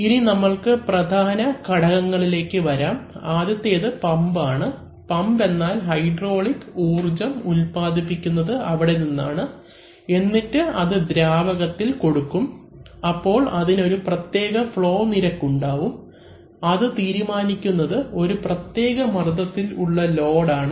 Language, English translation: Malayalam, Now we come to the main component, so firstly is the pump, as you have seen that the pump is the generator of the hydraulic energy that is a delivers fluid at a flow rate which is determined by the load and at a given pressure